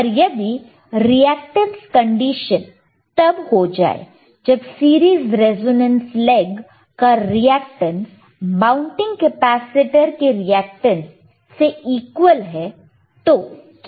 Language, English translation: Hindi, , but what if, bBut what if the reactance condition occurs when the reactance of series resonance leg equals the reactance of the mounting capacitor